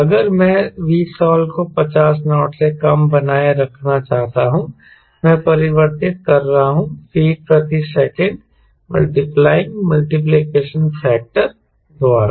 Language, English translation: Hindi, if i want to maintain v stall less than fifty knots, ok, right, fifty knots, i am converting into feet per second, multiplying by multiplication factor